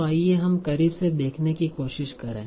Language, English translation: Hindi, So let us try to look closely